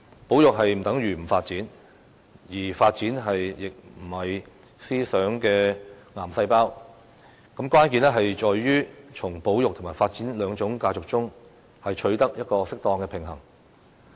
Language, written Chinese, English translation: Cantonese, 保育不等於不發展，而發展亦並非"思想的癌細胞"，關鍵在於從保育及發展兩種價值中，取得一個適當的平衡。, Conservation does not mean non - development and development is not a cancerous thought as such . The key is to strike an appropriate balance between the two values of conservation and development